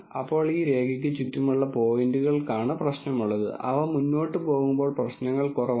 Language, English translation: Malayalam, Then points around this line is where the problem is, as they go further away the problems are less